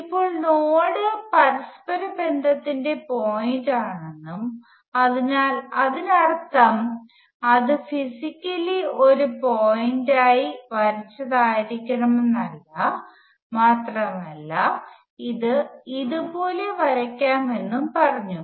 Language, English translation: Malayalam, Now, it said the node is point of interconnection, so what it means is not necessarily that it is physically drawn as a point, and it could draw like this